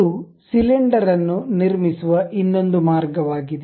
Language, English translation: Kannada, This is another way of constructing cylinder